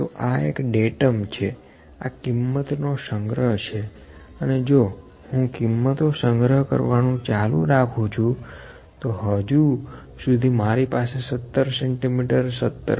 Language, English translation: Gujarati, So, this is one Datum, this is collection of values and if I keep on collecting the values, if I since I have the values like 17 centimetres, 17